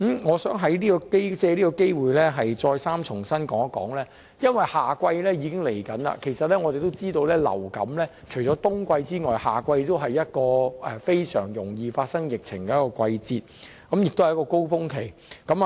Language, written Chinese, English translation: Cantonese, 我想藉這個機會再三表示，因為夏季將至，我們知道除了冬季外，夏季也是一個很容易爆發流感疫情的季節，是另一個高峰期。, Taking this opportunity I would like to reiterate that summer is around the corner and we know that apart from winter summer is also a season prone to influenza outbreaks and is another influenza peak season